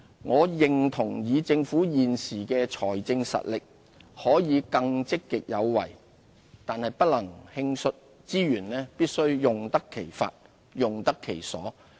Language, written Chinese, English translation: Cantonese, 我認同以政府現時的財政實力，可以更積極有為，但不能輕率，資源必須用得其法、用得其所。, While I share the view that the Government with its existing fiscal strength can afford to be more proactive we should avoid reckless commitments